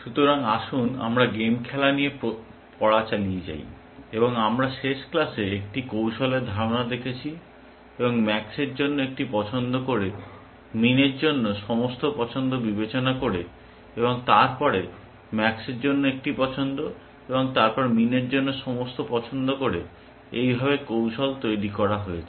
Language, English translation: Bengali, So, let us continue with a study of game playing, and we saw in the last class the notion of a strategy, and a strategies constructed by making one choice for max, considering all choices for min, and then one choice for max, and then all choices for min